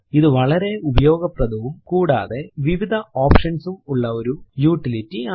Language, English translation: Malayalam, This is a very versatile utility and has many options as well